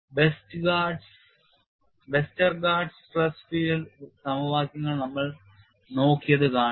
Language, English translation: Malayalam, See we have looked at Westergaard stress field equations